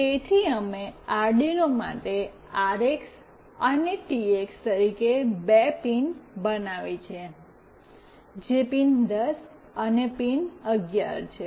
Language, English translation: Gujarati, So, we have made two pins as RX and TX for Arduino, which is pin 10 and pin 11